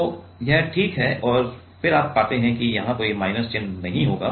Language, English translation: Hindi, So, this is fine and then you get there will be no negative here